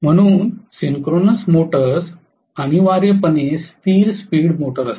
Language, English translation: Marathi, So synchronous motors are essentially constant speed motors